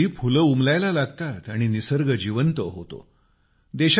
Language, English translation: Marathi, At this very time, flowers start blooming and nature comes alive